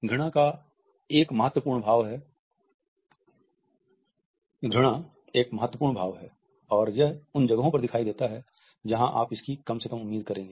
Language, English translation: Hindi, Disgust is important, and it shows up in places that you would least expect it